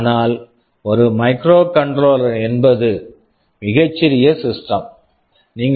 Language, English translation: Tamil, But a microcontroller is a very small system